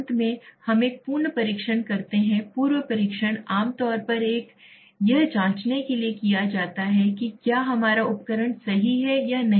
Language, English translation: Hindi, Finally we do a pre testing pre testing is usually done to check whether our instrument is correct or not correct